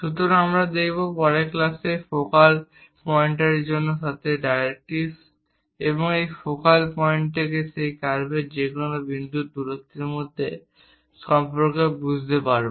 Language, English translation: Bengali, So, we will see, understand the relation between the focal point to the directrix and the distance from this focal point to any point on that curve in the next class